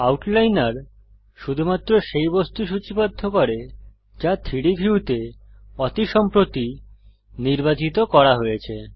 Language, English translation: Bengali, The Outliner lists only that object which was most recently selected in the 3D view